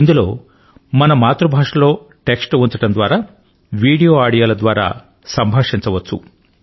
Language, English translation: Telugu, In this we can place our opinion and interact in our mother tongue through text, video or audio